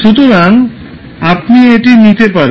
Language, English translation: Bengali, So you can take this out